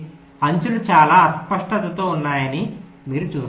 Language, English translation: Telugu, you see that the edges are quite haphazard and so on